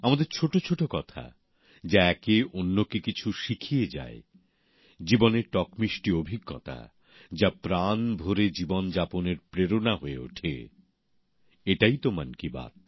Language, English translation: Bengali, Little matters exchanged that teach one another; bitter sweet life experiences that become an inspiration for living a wholesome life…and this is just what Mann Ki Baat is